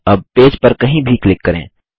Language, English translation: Hindi, Click anywhere on the page